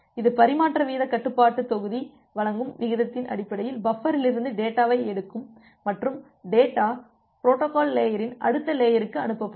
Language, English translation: Tamil, It will pick up the data from the buffer based on the rate that is being provided by the transmission rate control module and the data will be send to the next layer of the protocol stack